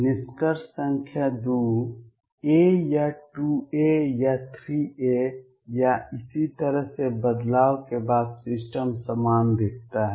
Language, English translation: Hindi, Conclusion number 2, the system looks identical after shift by a or 2 a or 3 a or so on